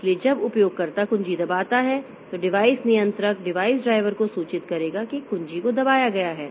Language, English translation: Hindi, So, when the user presses the key then the device controller will inform the device driver that a key has been pressed